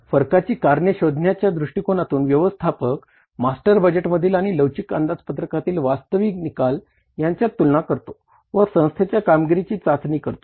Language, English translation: Marathi, So, in isolating the causes of variances, managers use comparisons among actual results, master budgets and flexible budgets to evaluate the organization performance